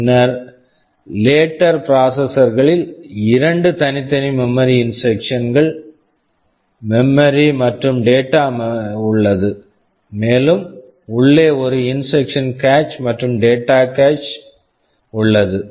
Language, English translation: Tamil, and r nine 9 Tand the later processors they have 2 separate memory, instruction memory and data memory, and inside also there is an instruction cache and a data cache separate